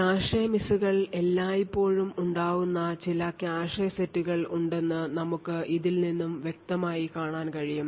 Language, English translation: Malayalam, So we can actually clearly see that there are some cache sets where clearly cache misses are always observed